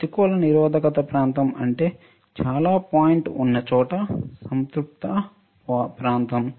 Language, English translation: Telugu, What is negative resistance region with a very point where is a saturation region